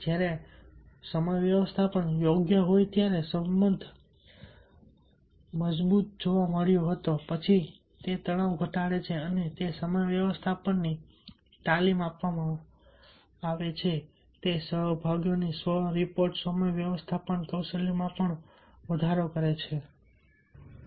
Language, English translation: Gujarati, it was the weakest relationship where in the strongest relationship was found: when time management is proper, then it reduce the stress or decrease the stress and it has been found also, given the time management training, it also increases the participants self reported time management skills